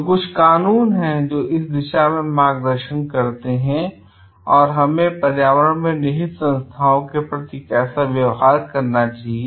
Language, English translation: Hindi, So, there are certain laws which guides towards how we should be acting towards the entities in the environment